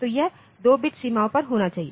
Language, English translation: Hindi, So, it has to be at 2 bit boundaries